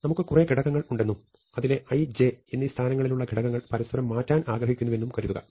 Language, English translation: Malayalam, Suppose, we want to take a sequence of values and we want to take a value at position i and position j and I want to exchange them